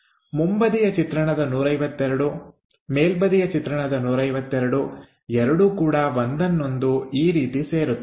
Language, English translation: Kannada, So, the front view 152, the top view 152 coincides in that way